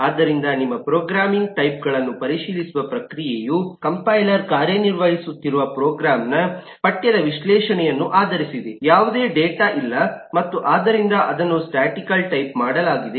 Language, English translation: Kannada, the process of verify types of your program is based on the analysis of the program’s text, that is, the compiler is working, no data is there and that therefore it is statically typed